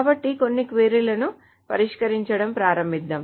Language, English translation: Telugu, And so let us start solving that some queries